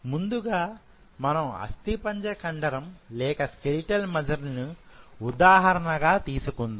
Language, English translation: Telugu, Let us take the example of skeletal muscle first